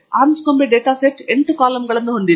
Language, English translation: Kannada, Anscombe data set has 8 columns